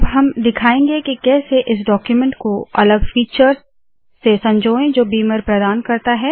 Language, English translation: Hindi, Now Im going to show you how to embellish this document with lots of other features that beamer offers